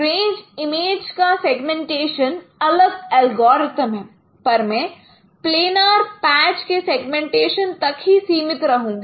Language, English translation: Hindi, Mostly the segmentation of range images there are different algorithms but I will be restricting ourselves to consider only segmentation of planner patches